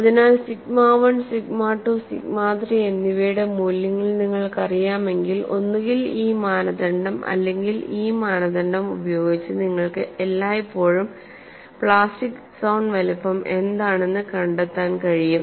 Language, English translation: Malayalam, So, once you know the values of sigma 1, sigma 2, and sigma 3, either by using this criteria or this criteria you can always find out, what is the plastic zone size